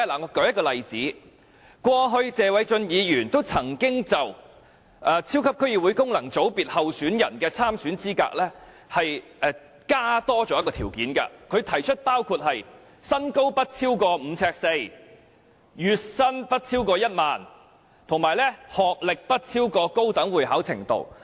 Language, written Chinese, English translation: Cantonese, 我舉一個例子，過去，謝偉俊議員曾經就超級區議會功能界別候選人的參選資格，多加一些條件，他提出的條件包括：身高不超過5呎4吋，月薪不超過1萬元，以及學歷不高於高等會考程度。, I will cite an example . Mr Paul TSE once added certain requirements for candidates in the super District Council functional constituency FC election in the past . The requirements included a height not taller than 5 feet 4 inches monthly income not exceeding 10,000 and academic qualification not higher than the Hong Kong Higher Level Examination